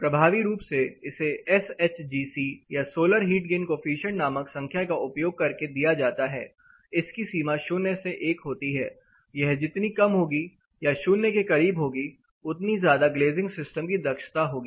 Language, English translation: Hindi, Effectively, it is given using a number called SHGC or solar heat gain coefficient; it ranges from 0 to 1 the lesser or more closer to 0 it tells you the efficiency of the glazing system